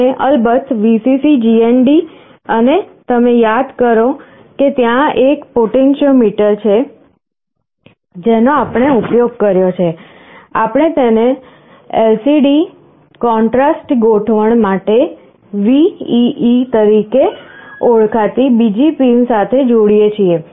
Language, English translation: Gujarati, And of course, Vcc, GND and you recall there is a potentiometer that we used like this, we connect it to another pin called VEE for LCD contrast arrangement